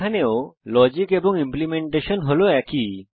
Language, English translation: Bengali, Here also the logic and implementation are same